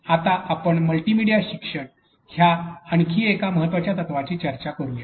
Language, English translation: Marathi, Let us now discuss another important principle in multimedia learning